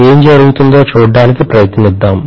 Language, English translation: Telugu, Let us try to see what happens